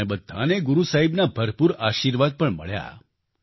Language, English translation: Gujarati, All of us were bestowed with ample blessings of Guru Sahib